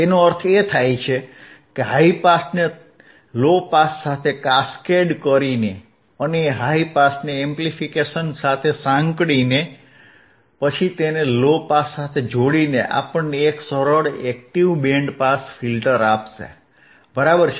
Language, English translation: Gujarati, That means that, now by cascading the high pass with low pass ends and integrating high pass with amplification, and then connecting it to low pass, this will give us the this will give us a high a simple active band pass filter, alright